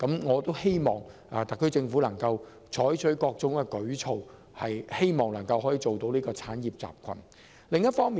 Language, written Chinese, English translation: Cantonese, 我希望特區政府能採取各種舉措，以建立一個產業集群。, I hope that the Government can build an industrial cluster by adopting various measures